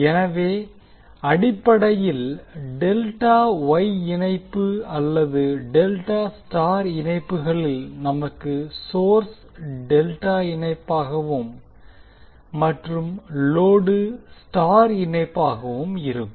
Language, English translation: Tamil, So basically, in case of Delta Wye connection or Delta Star connection, we have source delta connected and the load star connected